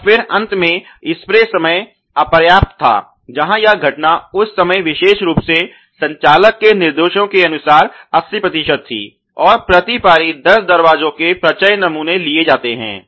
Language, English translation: Hindi, And then finally, the spray time insufficient were the occurrence was about 80 percent of the times the operator instructions are given at that particular point and lot sampling of 10 doors per shift is carried on